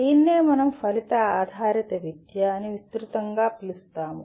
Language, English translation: Telugu, And this is what we broadly call it as outcome based education